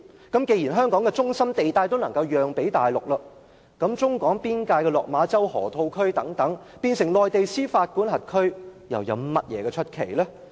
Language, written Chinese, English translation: Cantonese, 既然香港的中心地帶都可以讓予大陸，那麼將處於中港邊境的落馬洲河套區變成內地司法管轄區，又有甚麼奇怪？, When even an area in downtown Hong Kong can be surrendered to the Mainland would it be a surprise if the Lok Ma Chau Loop on the border is one day placed under Chinas jurisdiction?